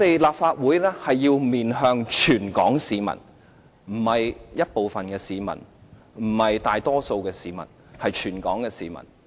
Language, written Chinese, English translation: Cantonese, 立法會要面向全港市民，不是部分市民，不是大多數市民，而是全港市民。, The Legislative Council must face all Hong Kong people not just a portion or even a majority of them